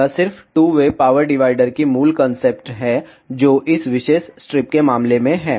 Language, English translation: Hindi, It is just the basic concept of two way power divider the same is in the case of this particular strip